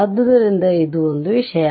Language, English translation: Kannada, So, this is one thing